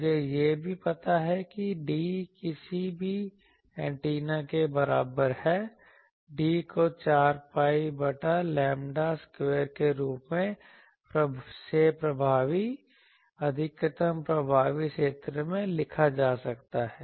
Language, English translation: Hindi, Also I know that D is equal to we are proved that for any antenna, D can be written as 4 pi by lambda square into effective maximum effective area